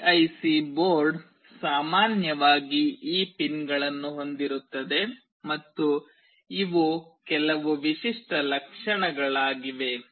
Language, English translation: Kannada, PIC board typically consists of these pins and these are some typical features